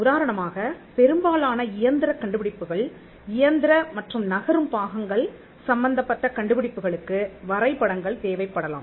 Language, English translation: Tamil, For instance, most mechanical inventions, inventions involving mechanical and moving parts, may require drawings